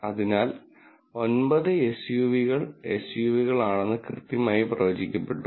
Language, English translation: Malayalam, So, 9 SUVs were correctly predicted to be SUVs